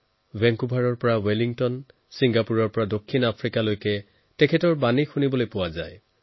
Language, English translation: Assamese, From Vancouver to Wellington, from Singapore to South Africa his messages are heard all around